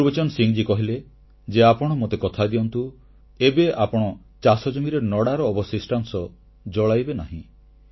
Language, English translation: Odia, Gurbachan Singh ji asked him to promise that they will not burn parali or stubble in their fields